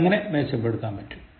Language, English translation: Malayalam, how can you improve on this